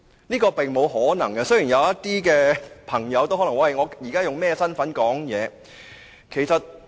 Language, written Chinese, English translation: Cantonese, 這是並無可能的，雖然有些朋友亦可能會說他們現在用甚麼身份發言。, This is impossible though some pals may also say that they are now speaking in a particular capacity